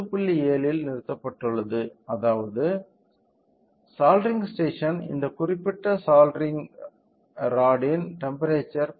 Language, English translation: Tamil, 7 which means the soldering station this particular soldering rod the temperature of the soldering rod is 10